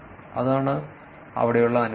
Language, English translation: Malayalam, That is the inference there